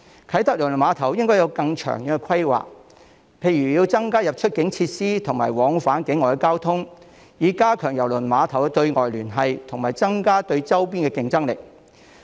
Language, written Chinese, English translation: Cantonese, 啟德郵輪碼頭應該有更長遠的規劃，例如增加出入境設施和往返境外的交通，以加強郵輪碼頭對外聯繫及增加對周邊地區的競爭力。, There should be longer - term planning for KTCT such as by increasing clearance facilities and cross - border transport services to strengthen the external connectivity of the cruise terminal and enhance its competitiveness against our neighbouring regions